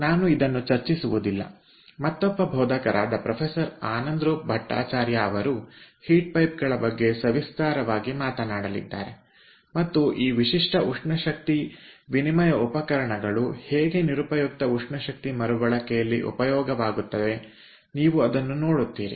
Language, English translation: Kannada, the other instructor, ah professor anandaroop bhattacharya, will talk about heat pipes in detail and you will see that how this unique ah heat exchange devices can be utilized for waste heat recovery